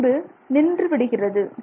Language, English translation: Tamil, So it comes to a halt